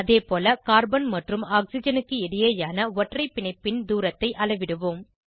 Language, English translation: Tamil, Then, let us introduce a double bond between carbon and oxygen